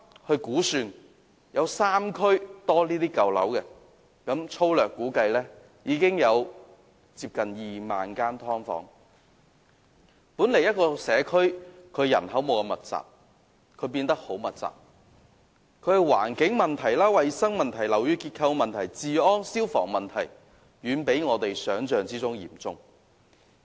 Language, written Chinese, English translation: Cantonese, 這個社區的人口本來不太密集，但現在卻因為"劏房"而變得相當密集，所牽涉的環境、衞生、樓宇結構、治安及消防問題遠比我們想象中嚴重。, As a result the originally not so crowded communities have become very densely populated and problems involving the environment hygiene building structure public order and fire safety are far more serious than we have imagined